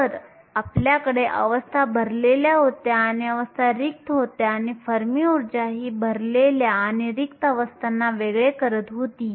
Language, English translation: Marathi, So, that you had filled states and you had empty states and the fermi energy is separated, the filled and the empty states